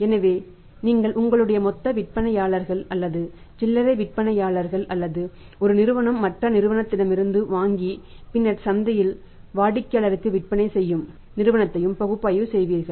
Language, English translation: Tamil, So, maybe you are making the analysis of your wholesalers or maybe the retailers or maybe one company is involved into buying from other company and then selling it in the market to the customers